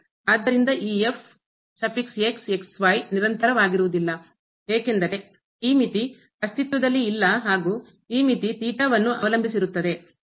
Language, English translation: Kannada, So, this is not continuous because this limit does not exist the limit depend on theta